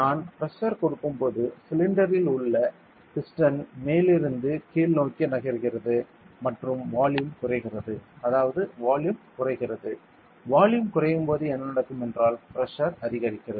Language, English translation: Tamil, So, if I apply pressure here what happens is pressure inside the air is inside this cylinder when I applied a pressure here the cylinder is the piston is going to come down and the volume decreases correct volume decreases when volume decreases what happens pressure increases